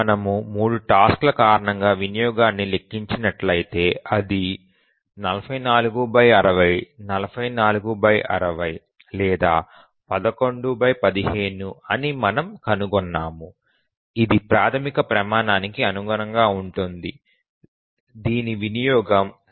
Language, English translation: Telugu, If we compute the utilization due to the three tasks, we find that it is 40 by 60 or 11 by 15 which is of course meets the basic criterion that the utilization is less than one